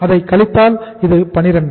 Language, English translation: Tamil, 4 minus uh this is 12